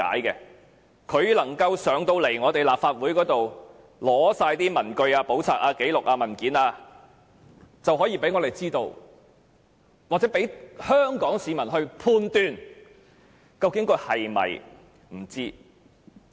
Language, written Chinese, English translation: Cantonese, 如果鄭若驊能夠到立法會席前出示所有相關文據、簿冊、紀錄或文件，就可以讓我們知道或讓香港市民判斷究竟她是否不知道寓所有僭建物。, If Teresa CHENG can attend before this Council to produce all relevant papers books records or documents we can find out or Hong Kong people can judge whether she did not know there were UBWs in her residence